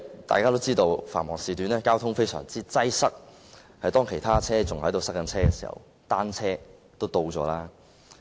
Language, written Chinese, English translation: Cantonese, 大家都知道，在繁忙時段，交通非常擠塞，當其他車輛仍困在路面時，單車早已到達目的地。, As we all know traffic is congested during peak hours . When other vehicles are still stuck on the roads bicycles have long reached their destinations